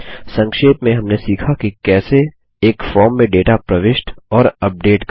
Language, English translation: Hindi, In this tutorial, we will learn how to Enter and update data in a form